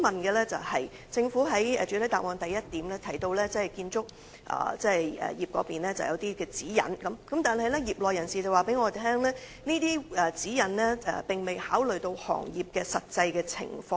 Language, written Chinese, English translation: Cantonese, 主席，政府在主體答覆第一部分提到建造業設有相關指引，但業內人士向我反映，這些指引並未考慮行業的實際情況。, President while the Government stated in part 1 of the main reply that there were relevant guidelines for the construction industry some trade members relayed to me that such guidelines had not taken into account the actual operation of the industry